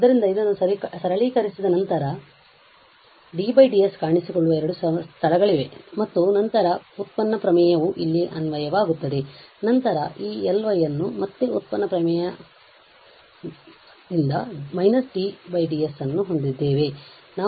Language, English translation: Kannada, So, after this simplifying because here we have to there are two places where d or ds will appear and then the derivative theorem will be applicable here, then you have this L y prime again the derivative theorem and then we have minus t over ds there